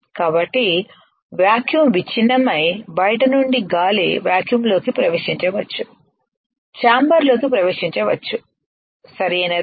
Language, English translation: Telugu, So, that the vacuum is broken and air from the outside can enter the vacuum can enter the chamber, right